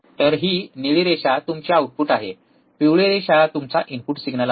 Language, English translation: Marathi, So, this blue line is your output, the yellow line is your input signal